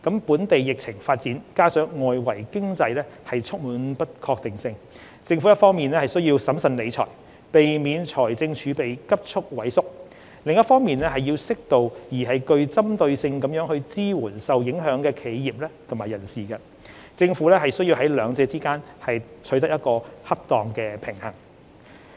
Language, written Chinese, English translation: Cantonese, 本地疫情發展加上外圍經濟充滿不確定性，政府一方面需要審慎理財，避免財政儲備急速萎縮，另一方面要適度而具針對性地支援受影響的企業及人士。政府需在兩者之間取得恰當的平衡。, Given the local epidemic situation and also the uncertainty besetting the external economic environment the Government must strike a balance between ensuring the prudent use of public resources to prevent a rapid dwindling of fiscal reserves on the one hand and providing adequate support for affected businesses and individuals on the other